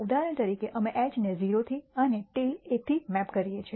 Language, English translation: Gujarati, For example, we map H to 0 and tail to 1